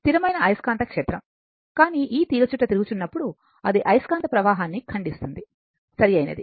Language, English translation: Telugu, It is a constant magnetic field, but when this coil is revolving it is cutting the flux, right